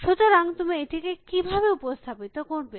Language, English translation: Bengali, So, how do you represent this